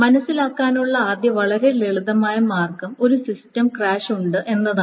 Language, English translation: Malayalam, Now, of course, the first very simple way to understand is that there is a crash